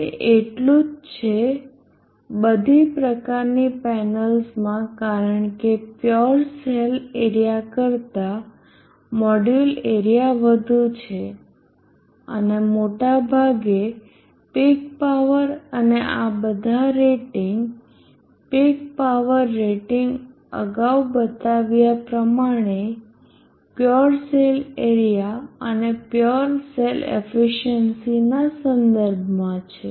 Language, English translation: Gujarati, 66% it is so in all types of panels because the module area is higher than the fuel cell area and most of the time the peak power and all these other rating the power rating as mentioned earlier here or with respect to the Pure cell area and pure cell efficiency